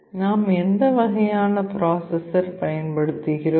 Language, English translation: Tamil, What kind of processor we are using